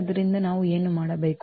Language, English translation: Kannada, So, what do we need to do